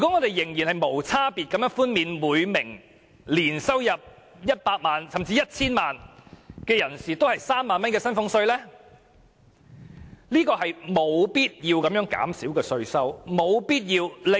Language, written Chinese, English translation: Cantonese, 我們無區別地寬減每年入息100萬元至 1,000 萬元的納稅人3萬元的薪俸稅稅收，是完全沒有必要的。, It is totally unnecessary for us to indiscriminately grant the 30,000 tax concession to taxpayers whose annual income ranges from 1 million to 10 million